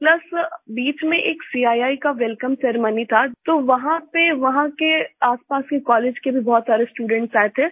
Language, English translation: Hindi, Plus there was a CII Welcome Ceremony meanwhile, so many students from nearby colleges also came there